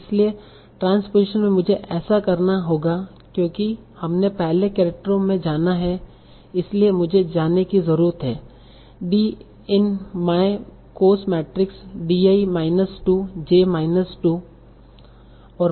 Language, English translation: Hindi, So the transposition, I will have to, so because it is you have to go to two characters before, so I need to go to D in my cost matrix, D i minus 2, j minus 2, yes, and suppose I give a cost of 1 for transposition